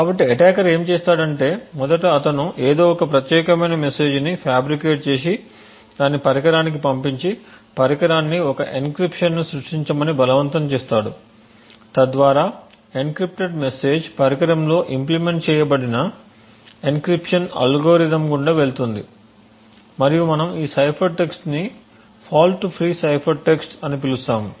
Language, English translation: Telugu, So what the attacker would do is that first of all he would fabricate some particular message and pass it to the device and force the device to create an encryption so the encryption would the message will pass through the encryption algorithm which is implemented in the device and would give you cipher text we call this particular cipher text as a fault free cipher text